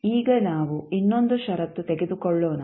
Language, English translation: Kannada, Now, let us take another condition